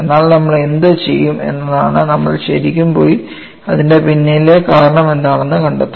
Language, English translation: Malayalam, But what we will do is, we would really go and find out what is the reason behind it